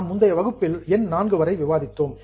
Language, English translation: Tamil, So, in our last session, we had come up to item 4